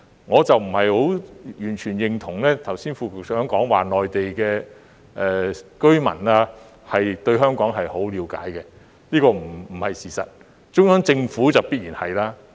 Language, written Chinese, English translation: Cantonese, 我不完全認同剛才副局長說內地居民對香港很了解，這不是事實，而中央政府當然很了解。, I do not totally agree with the remarks by the Under Secretary that Mainland people know Hong Kong very well . This is not true . Of course the Central Government knows Hong Kong very well